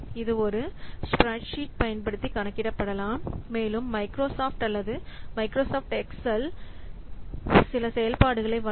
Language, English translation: Tamil, It can be calculated using a spreadsheet and also Microsoft Excel, it provides some functions